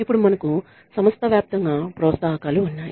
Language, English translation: Telugu, Then we have organization wide incentives